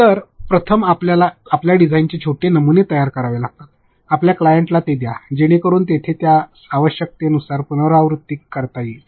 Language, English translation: Marathi, So, you have to first create small prototypes of your design, give it to your client you can iterate it there as much as required